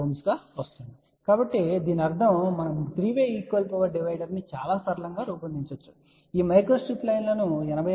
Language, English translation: Telugu, 6 ohm; so that means, we can design a 3 way equal power divider in a very simple manner that we design these micro strip lines for an impedance of 86